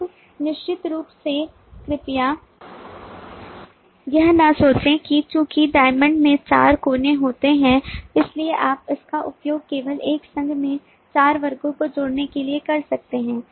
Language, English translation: Hindi, now, certainly, please do not think that since that, since diamond has four corners, you can use this only to connect four classes in an association